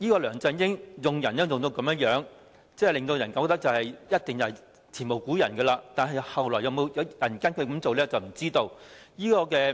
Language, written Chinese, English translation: Cantonese, 梁振英用人的方式，我覺得一定是前無古人，但日後會否有人跟隨他的做法，就不得而知了。, The way LEUNG Chun - ying chooses someone for a job in my opinion is certainly unprecedented but whether anyone will follow his approach in the future is unknown